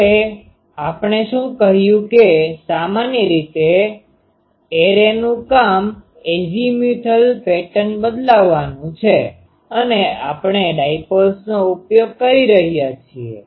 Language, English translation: Gujarati, Now what we said that the generally the job of array is to change the azimuthal pattern and we are using dipoles